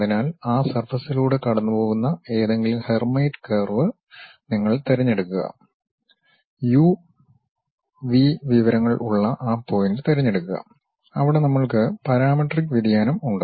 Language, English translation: Malayalam, So, you pick any Hermite curve, which is passing on that surface pick that point, where u v information we have parametric variation